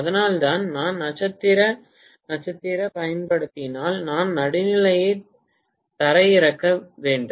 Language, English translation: Tamil, And that is the reason why, if I use the star star either I have to ground the neutral